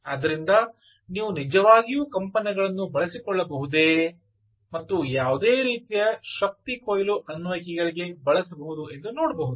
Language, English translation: Kannada, so can you actually exploit vibrations and see, use that for any sort of energy harvesting applications